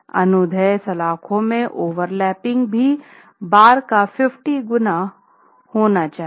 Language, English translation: Hindi, Lapping of the longitudinal bars also again at 50 times the bar diameter